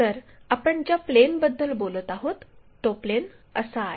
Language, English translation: Marathi, So, this is the plane what we are talking about